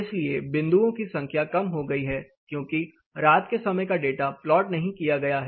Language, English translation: Hindi, So, the number of dots is less the night time data is not plotted